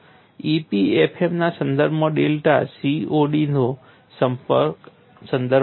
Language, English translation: Gujarati, In the context of EPFM, delta refers to CTOD